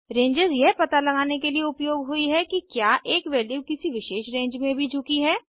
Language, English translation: Hindi, Ranges are used to identify whether a value falls within a particular range, too